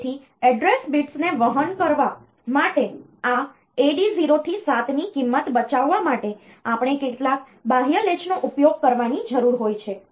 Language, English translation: Gujarati, So, we need to use some external latch to save the value of this AD 0 to 7 for carrying the address bits